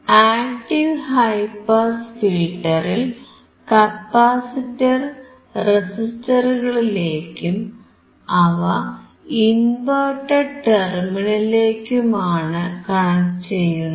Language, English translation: Malayalam, At the capacitors of the active high pass filter, this capacitor is connected to the resistors connected to the inverting terminal